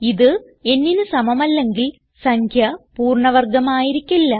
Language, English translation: Malayalam, If it is not equal to n, the number is not a perfect square